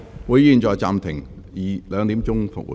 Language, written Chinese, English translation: Cantonese, 會議現在暫停，下午2時恢復。, I now suspend the meeting until 2col00 pm